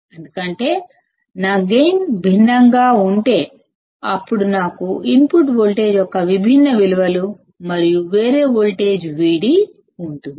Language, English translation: Telugu, Because, if my gain is different, then I will have different values of input voltage and a different voltage V d